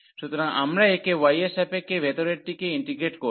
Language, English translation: Bengali, So, we will integrate this the inner one with respect to y